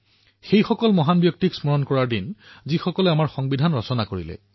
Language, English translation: Assamese, A day to remember those great personalities who drafted our Constitution